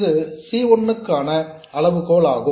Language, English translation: Tamil, This is the criterion for C1